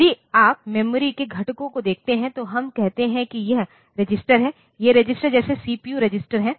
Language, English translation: Hindi, If you look into the components of the memory, we say that it is registers; these registers such as CPU register